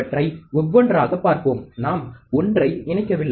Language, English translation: Tamil, Let us see them one by one, we are not connecting 1